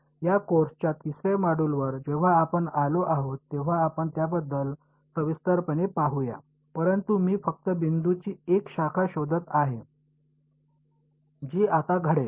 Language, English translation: Marathi, We will look at these in detail when we come to the third module of the this course ok, but I am just identifying a branch of point which happens right over